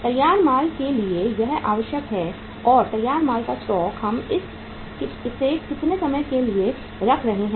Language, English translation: Hindi, This is the required for the finished goods and the stock of finished goods we are keeping it for how many time